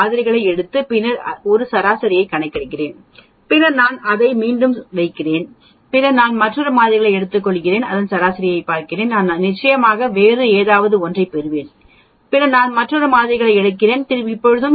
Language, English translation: Tamil, I have a population I take a few samples and then calculate a mean then I take put it back, then I take another set of samples and get a mean, I will definitely get something different then I will take another set of samples and then get a mean